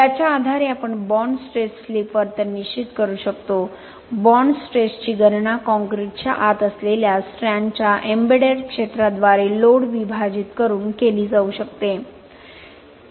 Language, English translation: Marathi, Based on this we can determine the bond stress slip behaviour, bond stress can be computed by dividing the load by the embedded area of the strand inside the concrete